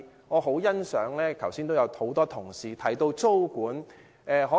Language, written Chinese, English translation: Cantonese, 我很認同剛才多位同事提到的租務管制。, I strongly support tenancy control as suggested by many colleagues just now